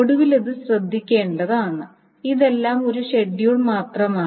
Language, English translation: Malayalam, So, just to note, this is all just one schedule